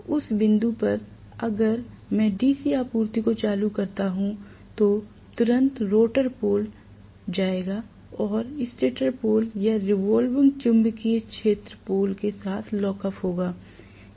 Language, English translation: Hindi, So at that point, if I turn on the DC supply, immediately the rotor poles will go and lock up with the stator pole or the revolving magnetic field poles